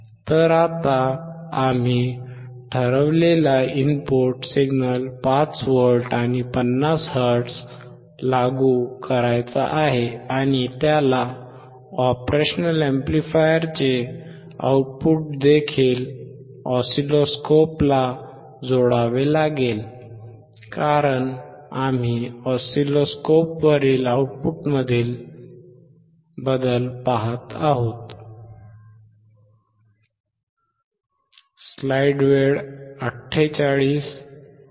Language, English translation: Marathi, So now, the input signal that we have decided is, we had to apply 5V and 50 hertz and he has to also connect the output of the operational amplifier to the oscilloscope, because we are looking at the change in the output on the oscilloscope